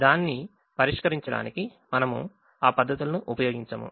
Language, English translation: Telugu, we don't use those methods to solve it